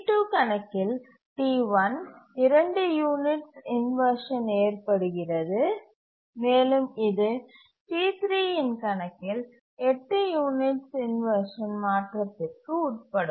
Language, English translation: Tamil, So, here, T1 undergoes inversion for two units on account of T2 and it can undergo inversion of eight units on account of T3